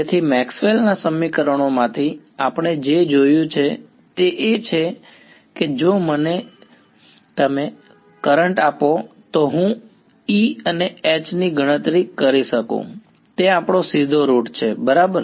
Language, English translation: Gujarati, So, far what we have been seen in from Maxwell’s equations is that, if you give me current I can calculate E and H that is our straightforward route right